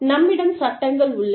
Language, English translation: Tamil, We have legislations